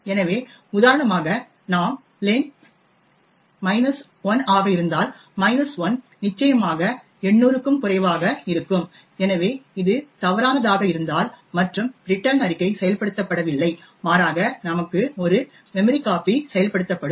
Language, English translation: Tamil, So for example if we give len to be minus 1, minus 1 is definitely less than 800 and therefore this if returns falls and this return statement is not executed but rather we would have a memcpy getting executed